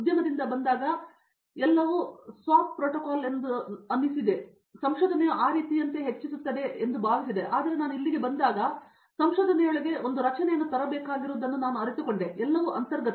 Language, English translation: Kannada, Coming from industry, in industry everything as I said protocol there is SOP for everything, I thought research would be more on those lines something like that, but when I came here I realized that you have to bring the structure into the research it’s not all inherent